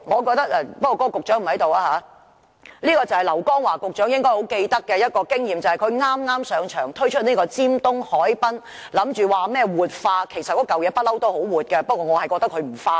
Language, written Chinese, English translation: Cantonese, 局長現時不在席，這是劉江華局長應該記得的一次經驗，就是在他剛上任時推出的尖東海濱活化計劃，其實那裏一向很"活"，不過我覺得他"不化"。, The Secretary is not present at this moment . Secretary LAU Kong - wah should be able to recall this experience concerning the Tsim Sha Tsui Waterfront Revitalization Plan shortly after he has assumed office . In fact that area is always full of vitality but I only find him obstinate